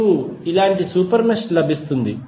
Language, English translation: Telugu, You will get one super mesh like this, right